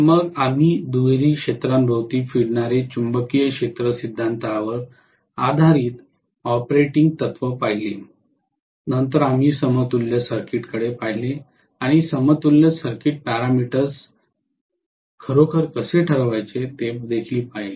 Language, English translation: Marathi, Then we looked at the operating principle based on double field revolving magnetic field theory, then we looked at the equivalent circuit and how to really determine the equivalent circuit parameters